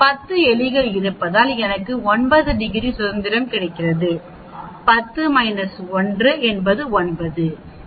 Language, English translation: Tamil, I get the 9 degrees of freedom because there are 10 rats, 10 minus 1 is 9, it is 1